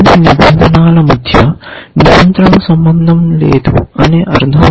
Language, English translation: Telugu, In the sense that there is no control relation between the different rules